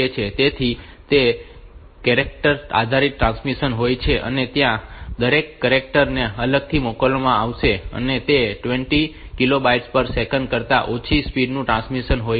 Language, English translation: Gujarati, So, and it is character based transmission every character will be sent separately and it is less low speed transmission less than 20 kilo bits per second